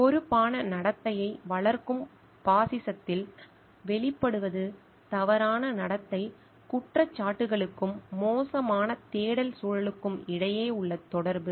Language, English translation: Tamil, The emerging in fascism fostering responsible conduct are from the correlation between misconduct charges and poor search environment